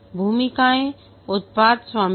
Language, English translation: Hindi, The roles are product owner